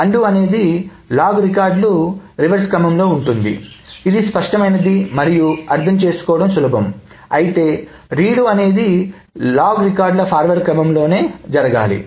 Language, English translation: Telugu, So undoing is in the reverse order of log records, which is intuitive and easy to understand, while the redoing is in the forward order of log records